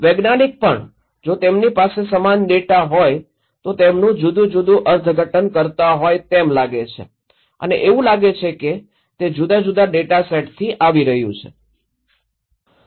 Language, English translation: Gujarati, Even the scientist, if they have same data they have different interpretations as if they look like they are coming from different data set